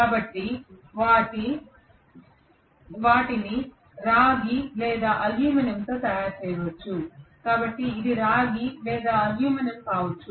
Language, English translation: Telugu, So they can be made up of a either copper or aluminum, so this may be copper or aluminum